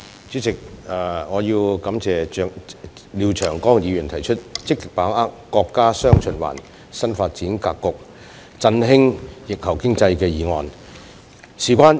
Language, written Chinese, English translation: Cantonese, 主席，我感謝廖長江議員提出"積極把握國家'雙循環'新發展格局，振興疫後經濟"議案。, President I appreciate Mr Martin LIAO for his proposal of the motion Actively seizing the opportunities arising from the countrys new development pattern featuring dual circulation to revitalize the post - pandemic economy